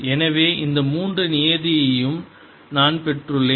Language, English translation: Tamil, so i have gotten these three terms